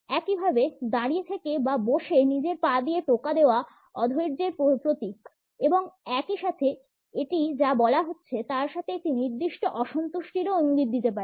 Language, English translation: Bengali, Similarly, while standing or sitting tapping with ones foot symbolizes impatience and at the same time it may also suggest a certain dissatisfaction with what is being said